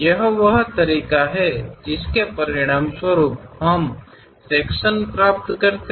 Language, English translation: Hindi, This is the way we get resulting section